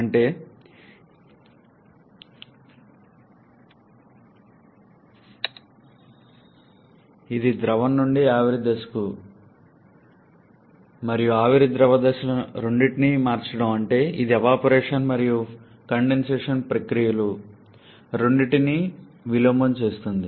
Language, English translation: Telugu, That is, it inverses both evaporation and condensation processes